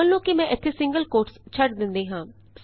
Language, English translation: Punjabi, Suppose here I will miss the single quotes